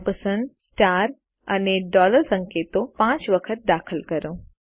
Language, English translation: Gujarati, Enter the symbols ampersand, star and dollar 5 times